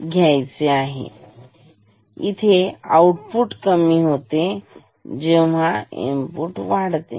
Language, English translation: Marathi, So, output will decrease